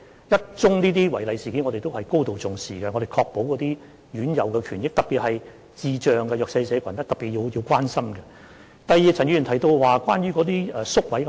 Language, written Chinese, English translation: Cantonese, 即使是一宗違例事件，我們也會高度重視，以確保院友的權益，特別是需要特別關心的智障人士和弱勢社群。, We will attach great importance to even one irregularity to ensure the rights of residents in particular those with intellectual disabilities and the underprivileged who especially need our care